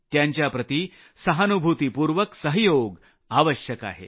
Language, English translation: Marathi, On the contrary, they need to be shown sympathy and cooperation